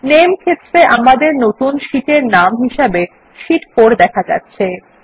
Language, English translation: Bengali, In the Name field, the name of our new sheet is s displayed as Sheet 4